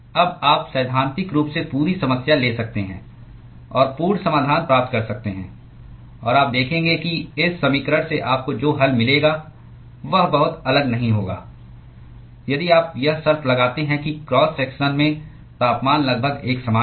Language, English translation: Hindi, Now you could in principle take the full problem and get the full solution; and you will see that the solution that you will get from this equation will not be very different, if you impose the condition that the temperature is nearly uniform in the cross section